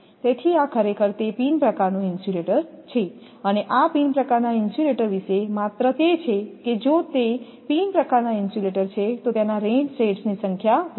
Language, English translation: Gujarati, So, this is actually your then pin type insulator and only thing about this pin type insulator is that if that for pin type insulator, if the your number of this rain shed increase